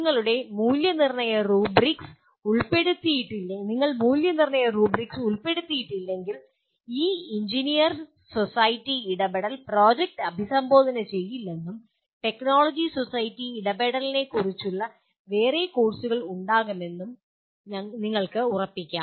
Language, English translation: Malayalam, If you do not incorporate evaluation rubrics you can be sure that this engineer society interaction would not be addressed through the project and there can be courses on technology society interaction